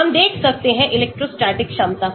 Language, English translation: Hindi, we can look at electrostatic potential